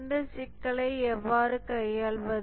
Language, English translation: Tamil, How do we handle this problem